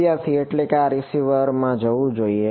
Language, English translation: Gujarati, That is this is should go into the receiver